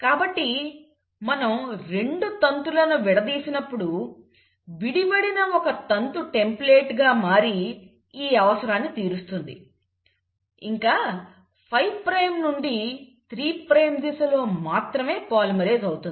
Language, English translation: Telugu, So when we have separated the 2 strands, the separated strand acts as a template, so this requirement has been taken care of, it will polymerize only in the direction of 5 prime to 3 prime; that also we know it happens